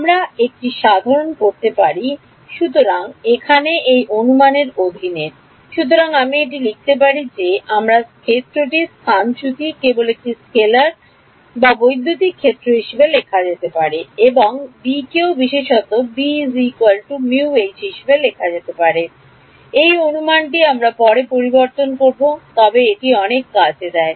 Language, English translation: Bengali, So, over here under this assumption; so, I can write down that my displacement field can be written as just a scalar times electric field and B also can be written as mu H in particular this assumption we will change later, but it takes a lot of work